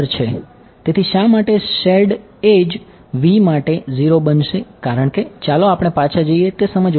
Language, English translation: Gujarati, So, why for the shared edge v will become 0 is because well let us go back to let us go back to yeah here